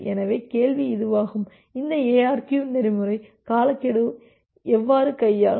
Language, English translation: Tamil, So, the question comes that: how does this ARQ protocol will handle the timeout